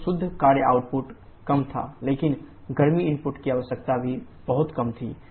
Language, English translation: Hindi, So the work output net work output was lower, but the heat input requirement was also much lower